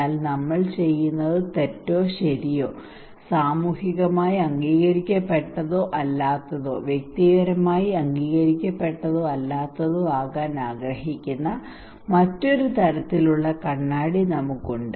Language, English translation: Malayalam, But we have another kind of mirror that we want to that what we are doing is right or wrong, socially accepted or not, individually accepted or not